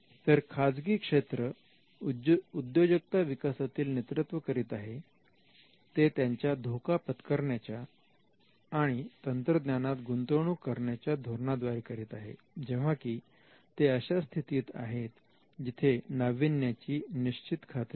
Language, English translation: Marathi, Whereas, the private sector is seen as a leader in entrepreneurship, because of their taking risk and investing in technologies, when they are at an uncertain stage of innovation